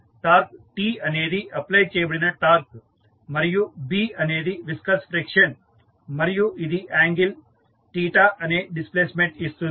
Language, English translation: Telugu, Torque T is the applied torque, B is viscous friction and it is giving the displacement of angle theta